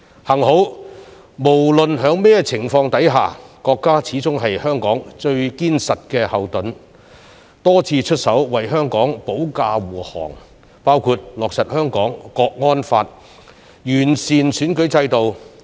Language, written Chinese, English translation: Cantonese, 幸好，無論在甚麼情況下，國家始終是香港最堅實的後盾，多次出手為香港保駕護航，包括落實《香港國安法》，完善選舉制度。, Fortunately the country is always the most solid backing for Hong Kong regardless of the situation . It protected Hong Kong on many occasions by for instance implementing the Hong Kong National Security Law and improving the electoral system